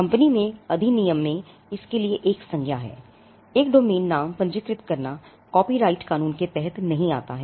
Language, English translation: Hindi, The company’s act has a noun for it, registering a domain name does not come under copyright law